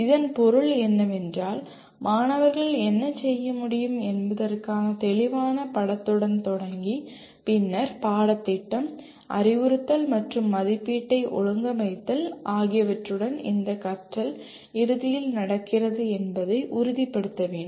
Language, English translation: Tamil, What this means is starting with a clear picture of what is important for students to be able to do and then organizing curriculum, instruction, and assessment to make sure this learning ultimately happens